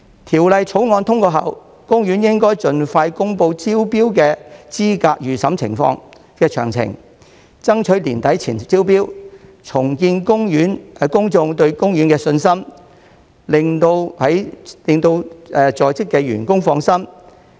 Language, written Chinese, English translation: Cantonese, 《條例草案》通過後，公園應盡快公布招標資格預審詳情，爭取年底前進行招標，重建公眾對公園的信心，令在職員工放心。, After the passage of the Bill OP should expeditiously announce the details of the pre - qualification exercise for the tender process and strive to invite tenders before the end of the year thereby rebuilding public confidence in OP and providing assurances to its staff